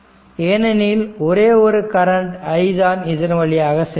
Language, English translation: Tamil, This same current i is flowing through this right